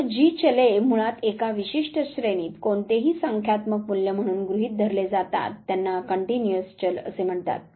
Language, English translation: Marathi, So, those variables which can basically assume any numerical value within a specific range they are called as continuous variables